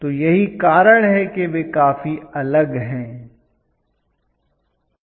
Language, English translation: Hindi, So, that is the reason why they are quite different okay